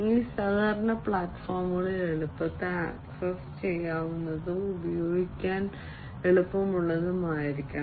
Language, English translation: Malayalam, These collaboration platforms should be easily accessible, and this should be easy to use